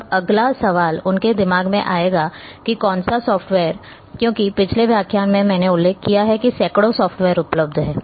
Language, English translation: Hindi, Now, the next question will come in this mind that which software because in previous lecture I have mentioned there are hundreds of softwares available